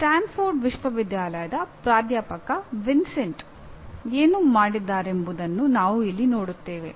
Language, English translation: Kannada, Here we will go with what professor Vincenti of Stanford University has done